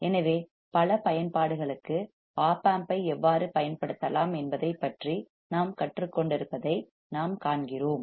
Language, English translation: Tamil, So, we see this is how we are learning about how we can use op amp for several applications